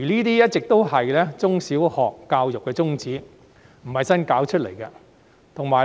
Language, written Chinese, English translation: Cantonese, 這一直是中小學教育的宗旨，並非新事物。, This has always been the objective of primary and secondary education and is nothing new